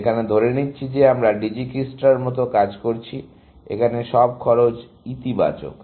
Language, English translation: Bengali, One assumption, that we are working with like, the Dijikistra does, that cost are all positive here